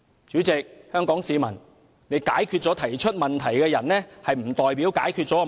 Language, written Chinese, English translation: Cantonese, 主席，各位香港市民，解決了提出問題的人並不代表解決了問題。, President and fellow Hong Kong citizens fixing the person who brought up the problem does not mean that the problem has been fixed